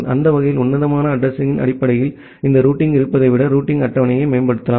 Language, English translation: Tamil, That way you can optimize the routing table, rather than having this routing based on classful addressing